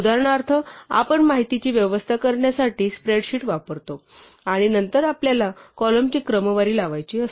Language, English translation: Marathi, For instance, if we use a spreadsheet to arrange information and then we want to sort of column